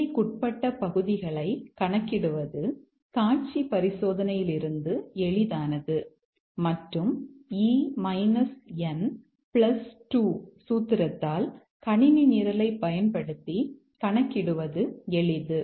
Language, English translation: Tamil, Computing the bounded areas is easy from a visual inspection and the E minus n plus 2 formula is easy to compute using a computer program